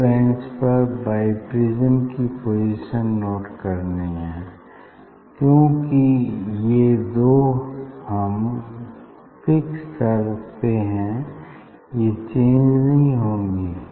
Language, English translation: Hindi, Then position of the bi prism on the bench that we have to note down because these two when we fixed these two really will not change